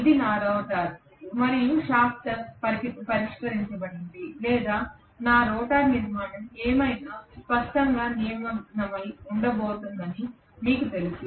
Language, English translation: Telugu, This is my rotor and the shaft is fixed or you know exactly it is going to be engaging clearly with whatever is my rotor structure